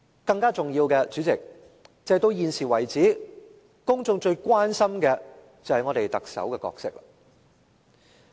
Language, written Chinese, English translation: Cantonese, 代理主席，更重要的是，到現時為止，公眾最關心的是特首的角色。, Deputy President more importantly the public are now most concerned about the role of the Chief Executive